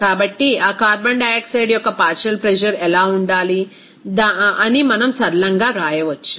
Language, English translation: Telugu, So, we can simply write that what should be the partial pressure of that carbon dioxide